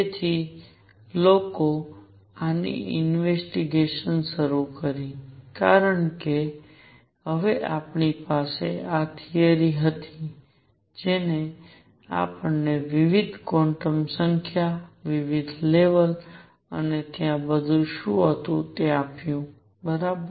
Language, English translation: Gujarati, So, people started investigating these, because now we had this theory that gave us different quantum numbers, different levels and what all was there all right